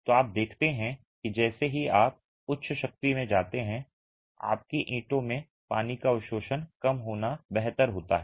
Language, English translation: Hindi, So, you see that as you go to higher strength, it's better to have lesser water absorption in your bricks